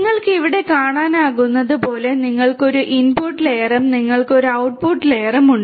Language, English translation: Malayalam, As you can see here, you have an input layer and you have an output layer